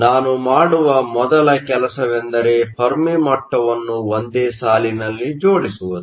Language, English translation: Kannada, The first thing I will do is line up the Fermi level